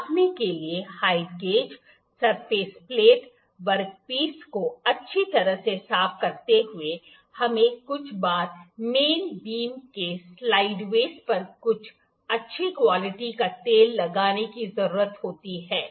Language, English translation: Hindi, Thoroughly cleaning the height gauge, surface plate, work piece to be measured, we need to apply some good quality oil to slideways of the main beam some times